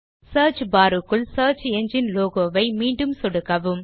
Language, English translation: Tamil, Click on the search engine logo within the Search bar again